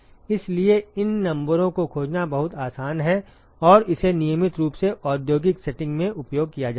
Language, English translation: Hindi, So, it is very easy to find these numbers and it is routinely used in industrial settings